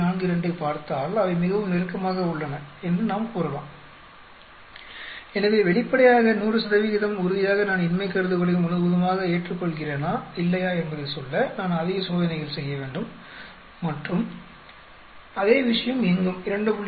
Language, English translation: Tamil, 42, we can say they are very close so obviously, I need to do more experiments to be 100 percent sure, whether I completely accept the null hypothesis or not and same thing here also 2